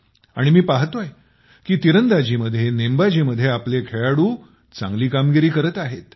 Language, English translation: Marathi, And I'm observing that our people, are doing well in archery, they are doing well in shooting